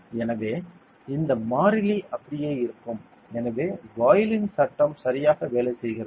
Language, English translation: Tamil, So, this constant will remain the same so this is how Boyle’s law works ok